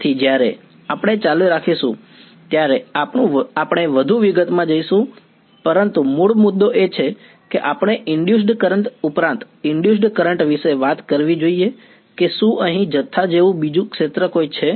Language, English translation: Gujarati, So, when we continue we will go more into detail, but the basic point is that we should talk about an induced current in addition to induce current is there any other field like quantity here